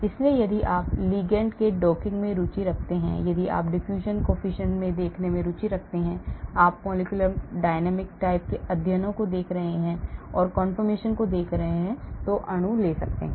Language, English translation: Hindi, so if you are interested in docking of ligands, if you are interested in looking at the diffusion coefficient, if you are looking at the molecular dynamic type of studies, if you are look at confirmations the molecules can take